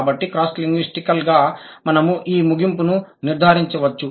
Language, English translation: Telugu, So, cross linguistically, we can draw this conclusion